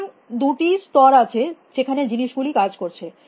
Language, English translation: Bengali, So, there is this two levels at which things are operating upon